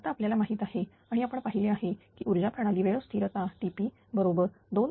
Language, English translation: Marathi, Now, we know that this is also we have seen power system time constant t p is equal to H upon f 0 d